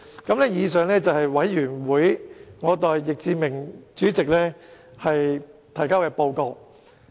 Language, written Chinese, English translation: Cantonese, 以上是我代小組委員會主席易志明議員提交的報告。, This is the report I submit for Mr Frankie YICK Chairman of the Subcommittee